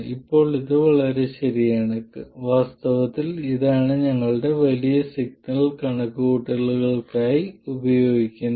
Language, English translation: Malayalam, Now this is fine, this is in fact what we will use for our large signal calculations